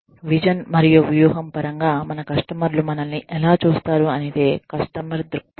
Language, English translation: Telugu, Customer perspective is, how our customers view us, in terms of vision and strategy